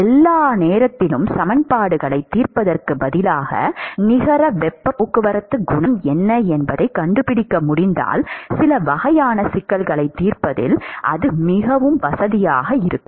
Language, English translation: Tamil, Instead of solving gory equations all the time, if we can find out what is the net heat transport coefficient, then it becomes very convenient in solving some kinds of problems